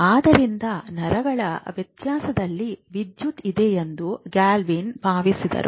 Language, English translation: Kannada, So Galvani thought that and he thought it correctly that the nervous system has electricity